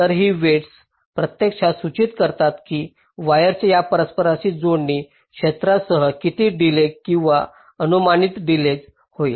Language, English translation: Marathi, so these weight actually indicate that what will be the delay, or estimated delay, along these interconnecting segments of wires